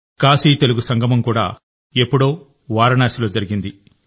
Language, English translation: Telugu, KashiTelugu Sangamam was also held a while ago in Varanasi